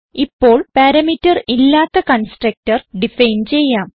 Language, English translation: Malayalam, Now let us define a constructor with no parameter